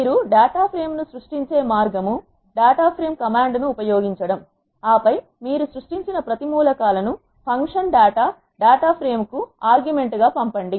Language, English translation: Telugu, The way you create the data frame is use the data dot frame command and then pass each of the elements you have created as arguments to the function data dot frame